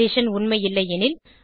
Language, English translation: Tamil, The condition is not true